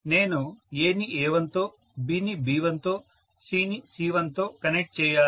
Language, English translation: Telugu, I have to connect A to A, B to B, C to C